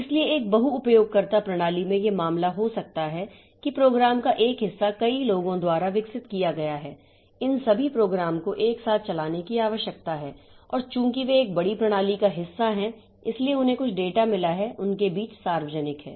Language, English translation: Hindi, So, in a multi user system it may be the case that the one piece of program is developed by multiple people and this multiple people, they all these programs need to run simultaneously and since they are part of a big system, so they have got some data common between them